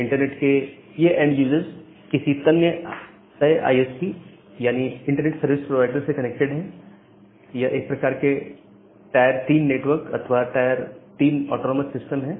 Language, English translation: Hindi, Now, this end users of the internet they are connected to certain ISPs; Internet Service Providers, they are kind of tier 3 network or tier 3 autonomous system